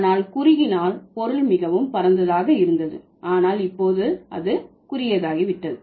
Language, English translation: Tamil, But in case of narrowing, the meaning used to be quite wide but now it has become short, like it has become narrow